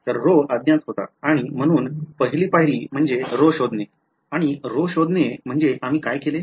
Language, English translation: Marathi, So, rho was the unknown and ah, so the first step was to find rho and to find rho what did we do